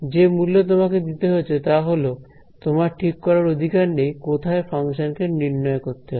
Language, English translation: Bengali, The price that you have to pay is that you do not have choice on where to evaluate the function